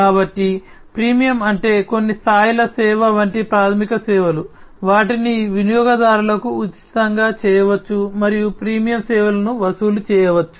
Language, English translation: Telugu, So, freemium means, like you know the certain levels of service the basic services, they can be made free to the customers and the premium services can be charged